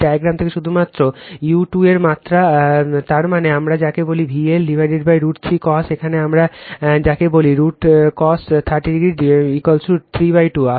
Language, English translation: Bengali, From this diagram only right magnitude u 2 so; that means, your what we call mod val is equal to V L upon root 3 cos here what we call root cos 30 is equal to 3 by 2